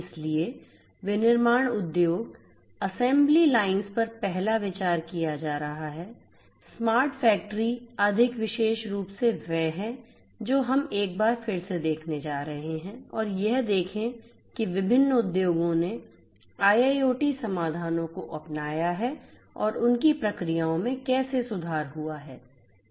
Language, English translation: Hindi, So, manufacturing industries they assembly lines and so on is the first one to be considered, smart factory more specifically is what we are going to revisit once again and look at which different industries have in adopting IIoT solutions and how their processes have improved consequently